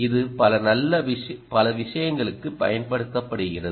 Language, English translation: Tamil, it is used for several things